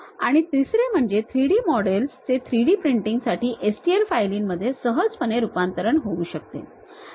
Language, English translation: Marathi, And the third one, the 3D models can readily converted into STL files for 3D printing